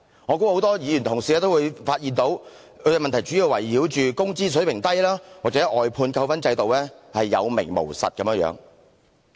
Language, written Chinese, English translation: Cantonese, 我相信很多議員同事均會發現這些問題主要關乎工資水平低或外判扣分制度有名無實的情況。, I believe a number of Honourable colleagues will find that such problems mainly concern the low wage level or the demerit point system for outsourcing which is there in name only